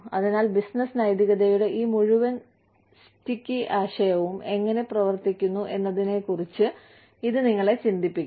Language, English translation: Malayalam, So, it would get you thinking about, how this whole sticky concept of business ethics work, works